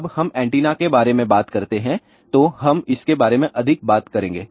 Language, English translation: Hindi, So, when we talk about antenna will talk more about it